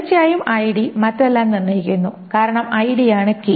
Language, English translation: Malayalam, Of course ID determines everything else because ID is the key